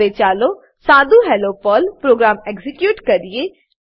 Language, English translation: Gujarati, Now let us execute a simple Hello Perl program